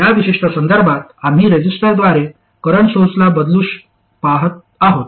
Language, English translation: Marathi, In this particular context we are looking at replacing current sources by resistors